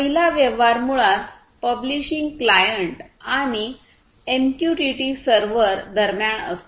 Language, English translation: Marathi, The first transaction is basically between the publishing client and the MQTT server and the second transaction is between the MQTT server and the subscribing client